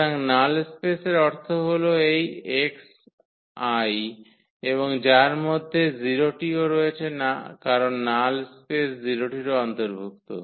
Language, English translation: Bengali, So, the null space means these x I and which includes the 0 also because the null space will also include the 0